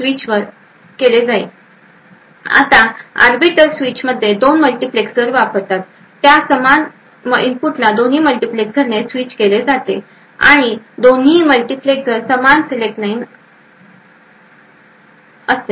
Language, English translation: Marathi, Now, in an arbiter switch two multiplexers are used, the same input is switched to both multiplexers present and both multiplexers have the same select line